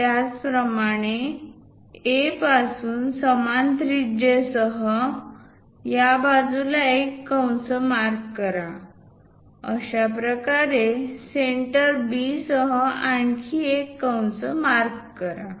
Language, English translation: Marathi, Similarly, from A; mark an arc on this side, with the same radius; mark another arc with the centre B in that way